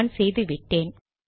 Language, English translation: Tamil, I have already done that